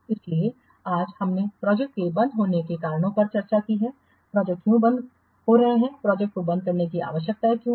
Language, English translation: Hindi, So today we have discussed the reasons for project closure, why project are becoming a why they need to what close a project